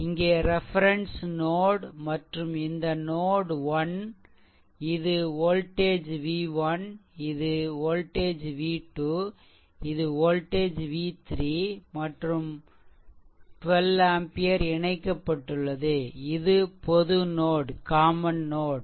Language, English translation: Tamil, So, here this is your reference node and you have this is node 1, this is voltage v 1, this is voltage v 2 and this is voltage v 3 right and 1 2 ampere source is connected basically this this is a common node right